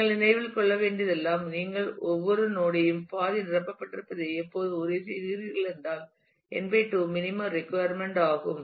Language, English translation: Tamil, All that you will have to remember is you always make sure that you have every node half filled, because n by 2 is a minimum requirement